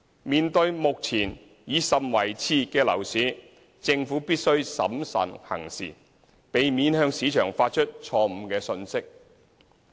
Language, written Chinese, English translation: Cantonese, 面對目前已甚為熾熱的樓市，政府必須審慎行事，避免向市場發出錯誤信息。, In view of the current buoyancy in the property market the Government considers that it has to act prudently and avoid sending a wrong message to the market